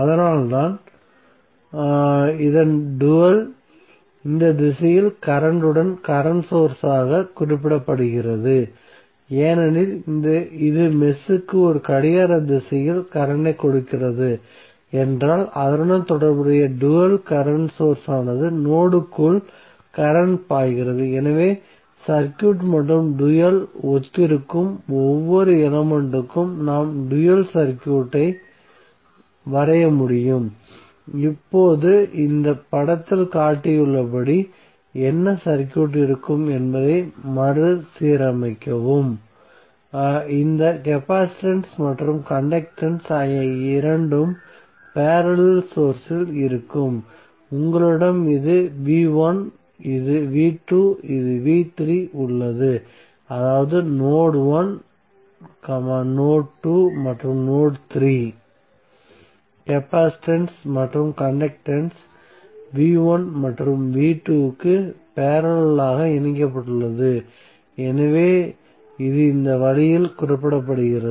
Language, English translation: Tamil, So that is why the dual of this is represented as current source with current in this direction because if it is giving current in a clockwise direction to the mesh that means that the corresponding dual current source will have current flowing inside the node so using the circuit and corresponding the dual so each and individual element we can draw the dual circuit, now rearrange the what circuit would look like as shown in this figure, where you will see that capacitance and conductance these two are in parallel source, so you have this is v1, this is v2 this is v3 that means node1, node2 and node3 the capacitance and conductance are connected in parallel between v1 and v2, so this is represented in this way